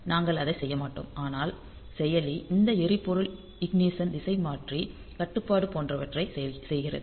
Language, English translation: Tamil, So, we will not do that, but the processor is doing other things like this fuel injection steering control and all that